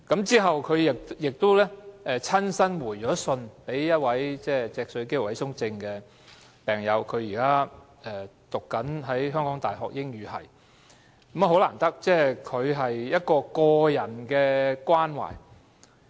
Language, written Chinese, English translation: Cantonese, 之後，她亦親自回信給一位脊髓肌肉萎縮症病友，該病友現於香港大學英語系學習，難得的是她作出個人關懷。, After that she wrote to an SMA patient in reply . That patient is now studying in the School of English of the University of Hong Kong . Her act of expressing care personally is appreciated